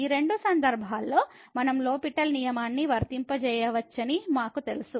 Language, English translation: Telugu, And in either case we know that we can apply the L’Hospital rule